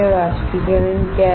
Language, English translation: Hindi, What is evaporation